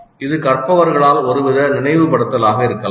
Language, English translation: Tamil, It can be some kind of a recollection by the learners